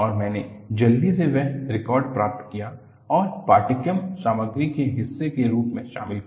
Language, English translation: Hindi, And, I quickly got that recorded and included as part of the course material